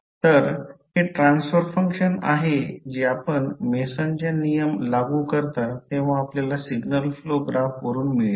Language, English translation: Marathi, So, this is the transfer function which you will get from the signal flow graph when you apply the Mason’s rule